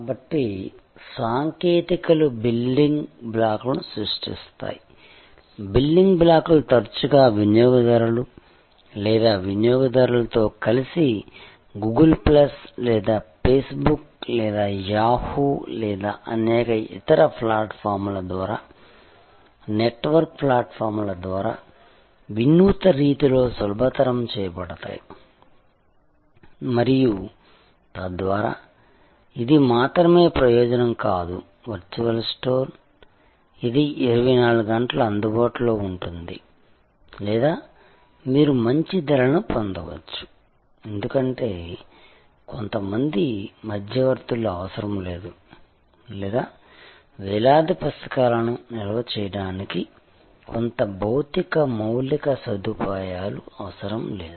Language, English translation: Telugu, So, the technologies create building blocks, the building blocks are put together often by the customer or the consumer in innovative ways facilitated by network platforms like Google plus or Face Book or Yahoo or many other platforms and thereby, it is not only the advantage of having a virtual store; that it is available 24 hours or you can have better prices, because some intermediaries are no longer required or some physical infrastructure will no longer be required to store thousands of books